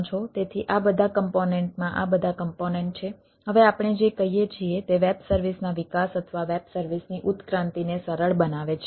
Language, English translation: Gujarati, so this, all this component has, all these components have now, has, has, what we say, facilitated that this development of web services or the evolution of web services